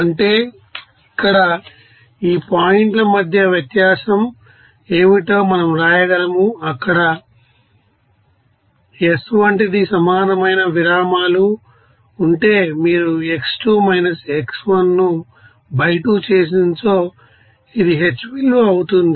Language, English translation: Telugu, That means here we can write here, what is the difference between these 2 points x there like s that will be is equal to if there is an equal intervals you can write x2 x1 divided by 2 this is your, you know h value